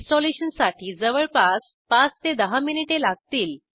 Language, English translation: Marathi, The installation will take around 5 to 10 minutes